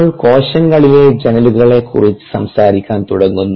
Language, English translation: Malayalam, we are going to begin talking about windows to the cell